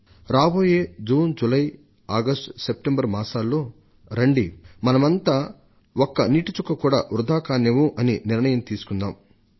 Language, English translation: Telugu, I urge the people of India that during this June, July, August September, we should resolve that we shall not let a single drop of water be wasted